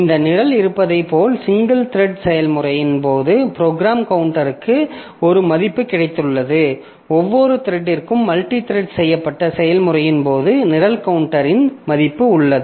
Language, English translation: Tamil, So, as if this program counter that we have, so in case of single threaded process, the program counter has got a single value in case of multi threaded process for each thread there is a value of the program counter